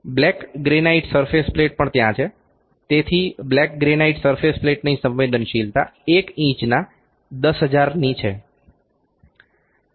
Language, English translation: Gujarati, The black granite surface plate is also there so, the sensitivity of the black granite surface plate is 1 by 10000 of an inch